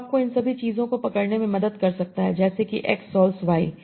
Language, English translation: Hindi, So that can help you to capture all these things like x solves y